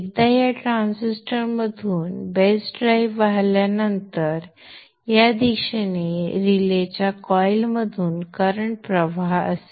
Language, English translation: Marathi, Once a base drive flows through this transistor there will be a current flow through the coil of the relay in this direction